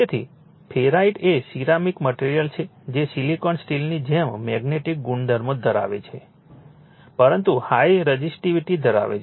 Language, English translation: Gujarati, So, ferrite is a ceramic material having magnetic properties similar to silicon steel, but having high resistivity